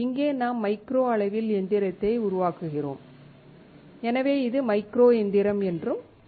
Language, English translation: Tamil, Here, we are machining at micro scale so it is also called micro machining